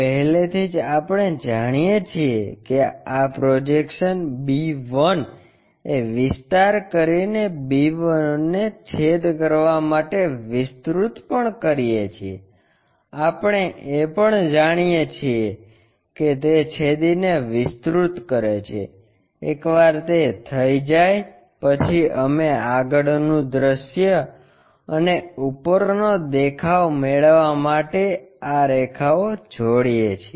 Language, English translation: Gujarati, Already, we know this projection b 1 extend it to make cut b 1 also we know extend it make a cut, once it is done we connect these lines to get front view and top view